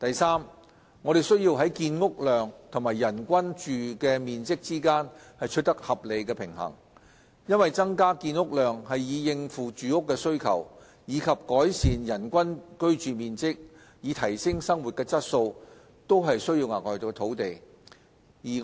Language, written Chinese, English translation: Cantonese, 三我們需要在建屋量和人均居住面積之間取得合理平衡，因為增加建屋量以應付住屋的需求，以及改善人均居住面積以提升生活質素均需要額外土地。, 3 We need to strike a reasonable balance between housing production and average living floor area per person as both the increase in housing production to address needs for accommodation and the increase in average living floor area per person to improve living standard would require additional land